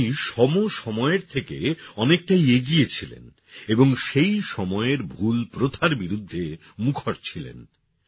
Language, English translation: Bengali, She was far ahead of her time and always remained vocal in opposing wrong practices